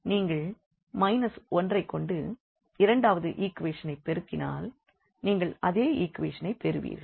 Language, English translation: Tamil, Here if you multiply by minus 1 to the second equation you will get the same equation